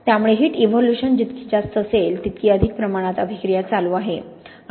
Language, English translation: Marathi, So the higher the heat evolution, the more reaction we have going on